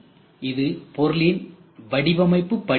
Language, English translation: Tamil, So, this is product design step ok